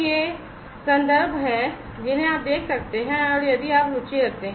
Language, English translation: Hindi, So, these are these references that you could go through and you know if you are interested